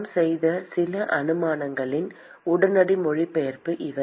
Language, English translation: Tamil, These are the immediate translation of some of the assumptions that we have made